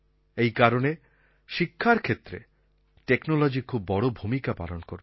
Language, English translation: Bengali, Likewise, technology plays a very big role in education